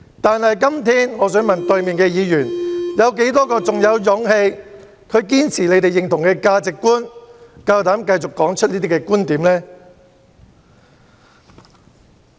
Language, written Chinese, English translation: Cantonese, 但我想問對面的議員，有多少人在今天仍然有勇氣堅持他們認同的價值觀，膽敢繼續說出這些觀點呢？, But I would like to ask Members on the other side How many of them are courageous enough to remain committed to the values they recognize and dare to continue expressing those views?